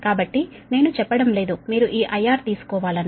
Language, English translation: Telugu, so don't take i, you have to take this i r